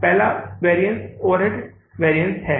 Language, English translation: Hindi, First variance is the overhead variances